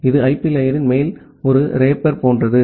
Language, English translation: Tamil, It is just like a wrapper on top of the IP layer